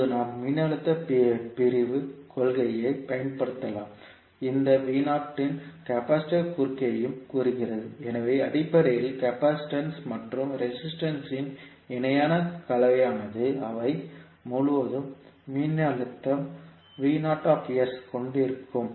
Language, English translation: Tamil, Now we can utilize the voltage division principle, says this V naught is also across the capacitance, so basically the parallel combination of capacitance and resistance will have the voltage V naught s across them